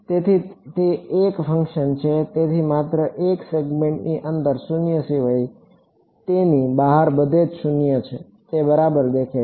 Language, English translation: Gujarati, So, it is a function and so, non zero only within a segment, zero everywhere else outside it that is how it looks like ok